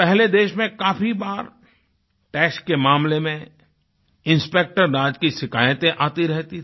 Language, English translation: Hindi, Earlier, in the case of taxation and allied affairs in the country, there were rampant complaints of Inspector Raj